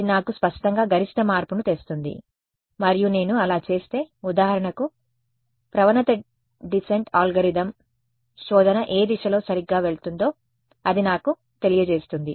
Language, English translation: Telugu, It will clearly me maximum change and it will tell me that if I did, for example, the gradient descent algorithm which direction will the search go right